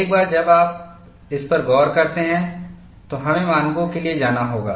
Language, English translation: Hindi, Once you have looked at this, we have to go for standards